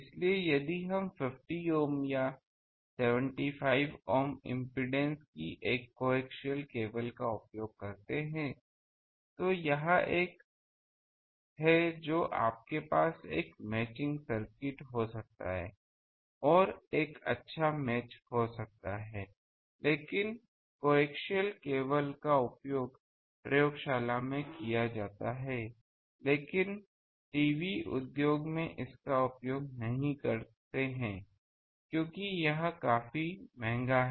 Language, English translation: Hindi, So, if we use a coaxial cable of either 50 Ohm or 75 Ohm impedance, then it is a you can have a matching circuit and have a good match, but coaxial cable is used in laboratories but not in TV people, you TV industry does not use it because it is quite costly